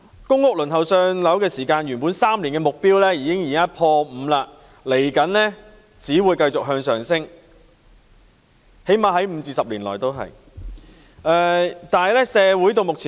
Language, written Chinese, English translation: Cantonese, 公屋輪候3年"上樓"的目標已經"破 5"， 輪候時間未來只會繼續向上升——最低限度在未來5至10年也會如是。, Given the three - year target for allocation of public rental housing PRH the waiting time has exceeded five years and is just going to be longer―at least in the next five to 10 years